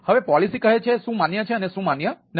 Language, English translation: Gujarati, so policy says what is what is not allowed, right